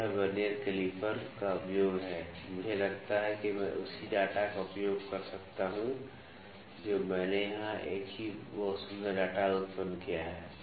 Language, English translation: Hindi, So, this is the use of Vernier calliper also I think I can use the same data I have generated a very beautiful data here